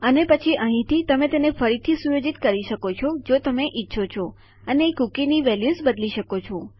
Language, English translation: Gujarati, And then from here you can set it again if you like and you can change the values of the cookie